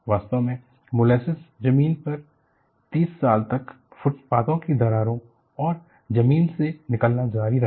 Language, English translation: Hindi, In fact, the molasses actually continued to creep out of the ground and cracks in the sidewalks for 30 years